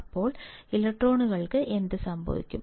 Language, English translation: Malayalam, Then, what will happen to the electrons